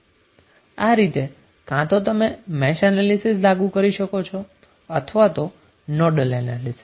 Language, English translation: Gujarati, Now instead of Mesh analysis you can also apply Nodal analysis as well